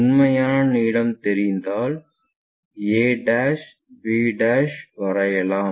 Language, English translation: Tamil, The true length always be a b